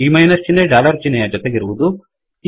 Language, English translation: Kannada, We need to use dollar symbol for minus sign also